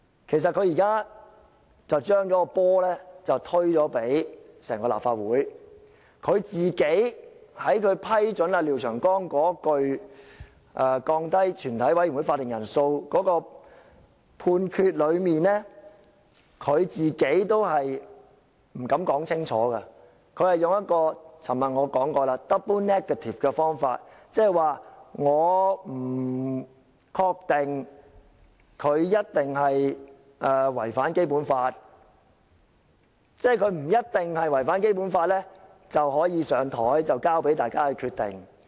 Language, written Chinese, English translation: Cantonese, 其實，他現在是把責任推給整個立法會，他在批准廖長江議員降低全體委員會法定人數的建議的判決中也不敢說清楚，我昨天已指出，他是以一個 double negative 來表達，換言之，他不確定他一定違反《基本法》，即是他不一定違反《基本法》便可以提出，交由大家決定。, He did not make himself clear in the ruling he made on approving Mr Martin LIAOs proposed amendment to lower the quorum for a Committee of the Whole Council . As I pointed out yesterday he used a double negative to express his statement . In other words he is unsure whether he has violated the Basic Law; that is to say he can propose the amendment as long as he has not definitely violated the Basic Law